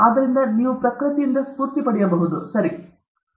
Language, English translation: Kannada, So, you can, so, you can draw inspiration from nature also alright okay